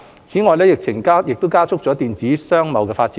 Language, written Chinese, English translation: Cantonese, 此外，疫情加速了電子商貿的發展。, In addition the epidemic has expedited the development of e - commerce